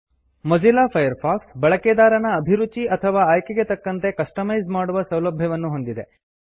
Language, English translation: Kannada, Mozilla Firefox offers customisation to suit the tastes or preferences of the user